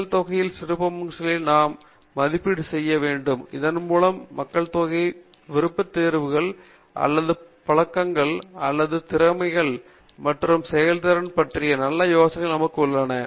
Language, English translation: Tamil, We need to estimate the characteristic features of the population, so that we have a good idea about the population’s preferences or habits or abilities and performances